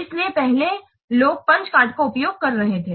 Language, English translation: Hindi, So, previously people are using Ponce cards